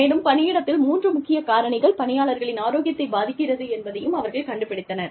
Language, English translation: Tamil, And, they found out that, three main factors, affects the health of the workers, in the workplace